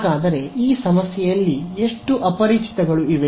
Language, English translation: Kannada, So, how many unknowns are in this problem